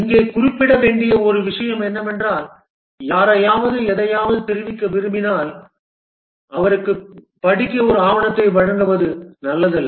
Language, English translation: Tamil, One thing need to mention here is that when want to convey something to somebody, it's not a good idea to give him a document to read